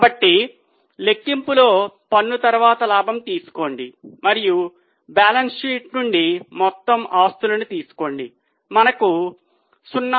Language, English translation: Telugu, So, take profit after tax in the numerator and from balance sheet take total assets